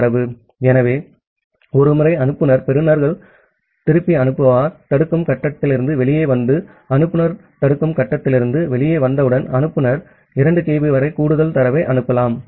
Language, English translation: Tamil, So, once it the sender receivers back sender comes out of the blocking stage and once the sender is coming out of the blocking stage, so the sender may send up to 2 kB of more data